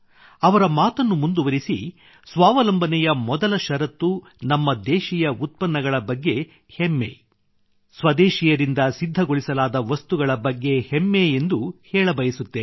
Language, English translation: Kannada, Furthering what he has said, I too would say that the first condition for selfreliance is to have pride in the things of one's own country; to take pride in the things made by people of one's own country